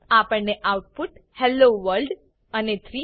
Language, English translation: Gujarati, We get the output as Hello World and 3